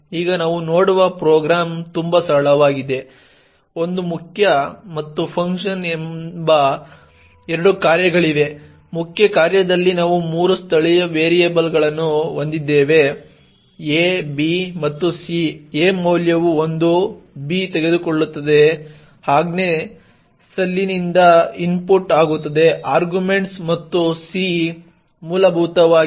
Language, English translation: Kannada, Now the program we look at is very simple there are two functions a main and the function, in the main function we have three local variables a, b and c, a has a value of 1, b takes it is input from the command line arguments and c essentially does a + b